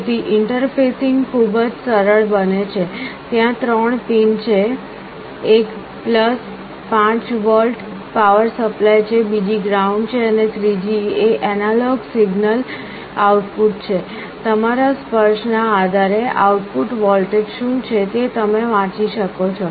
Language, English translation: Gujarati, So the interfacing becomes very simple; there are three pins one is your + 5 volt power supply, other is ground and the third one is analog signal output; depending on your touch what is the output voltage that you can read